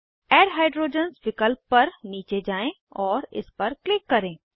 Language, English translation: Hindi, Scroll down to add hydrogens option and click on it